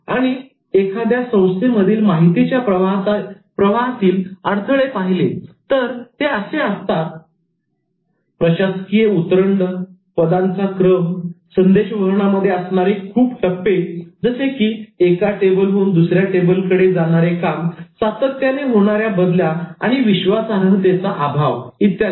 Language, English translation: Marathi, And the barriers to information flow in organizations, starting with the administrative hierarchy, long lines of communication, too many transfer stations and lack of trust, etc